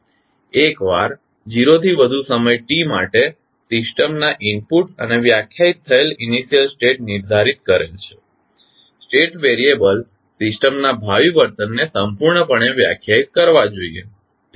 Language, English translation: Gujarati, Once, the input of the system for time t greater than 0 and the initial states just defined are specified the state variables should completely define the future behavior of the system